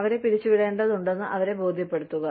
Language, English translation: Malayalam, Convince them that, they had to be terminated